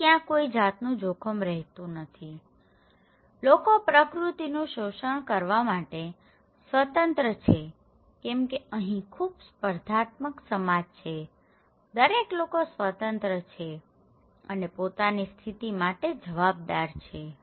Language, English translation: Gujarati, So, there is no risk exist, people can be left free to exploit nature, okay because this is a very competitive society okay, everybody is free and their status is based on ascribe status